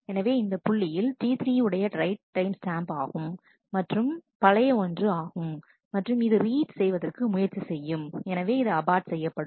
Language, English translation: Tamil, So, this at this point, the right timestamp is that of T 3 and this is an older one, so it was trying to read that, so this was aborted